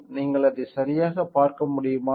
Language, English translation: Tamil, You can see it right